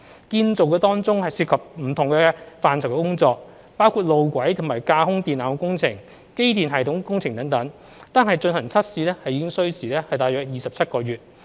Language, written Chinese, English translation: Cantonese, 建造當中涉及不同範疇的工序，包括路軌及架空電纜工程、機電系統工程等，單是進行測試已需時約27個月。, Construction involves procedures of different aspects including track - laying and overhead lines works and the works on the electrical and mechanical systems . Just testing alone will take about 27 months